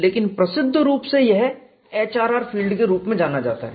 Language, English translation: Hindi, And we would see how the HRR field looks like